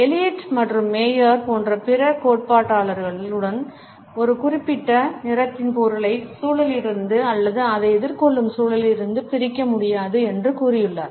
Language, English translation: Tamil, Other theorists like Elliot and Maier have also suggested that the meaning of a particular color cannot be dissociated from the context or the environment in which it is encountered